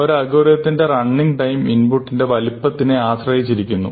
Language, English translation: Malayalam, So, remember that the running time of an algorithm will necessarily depend on the size of the input